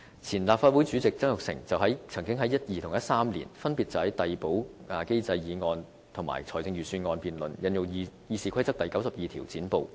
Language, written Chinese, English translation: Cantonese, 前立法會主席曾鈺成曾經在2012年和2013年，分別就遞補機制的議案和財政預算案辯論引用《議事規則》第92條"剪布"。, During the respective motion debates on the Replacement Mechanism and the Budget in 2012 and 2013 former President Jasper TSANG incited Rule 92 of RoP to cut off the filibusters